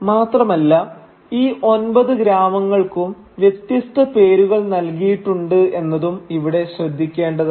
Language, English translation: Malayalam, And here you should also note that there are different names given to these nine villages